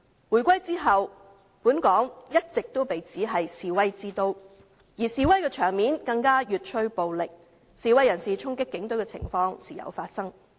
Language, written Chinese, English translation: Cantonese, 回歸後，本港一直被指為示威之都，而示威場面更越趨暴力，示威人士衝擊警隊的情況時有發生。, Since the reunification Hong Kong has been dubbed a city of protests and the scenes of protests have become increasingly violent . Cases of protesters charging at the Police have occurred from time to time